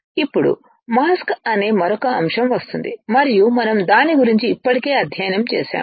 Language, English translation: Telugu, Now, comes another topic which is mask and we have already studied about it